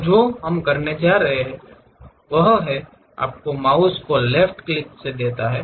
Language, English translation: Hindi, So, the first one what we are going to do is move your mouse give a left click